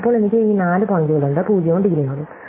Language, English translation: Malayalam, Then I have these four points, as 0 indegree nodes